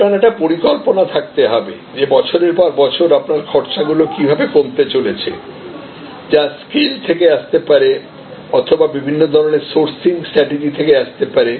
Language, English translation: Bengali, So, you have to have a plan which is year upon year how your costs are going to slight down that could be coming from in the scale that could be coming from different times of sourcing strategies